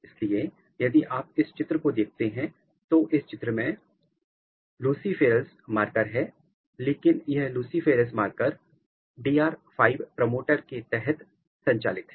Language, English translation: Hindi, So, if you see here if you look this picture so, this picture has luciferase marker, but this luciferase marker is driven under DR 5 promoter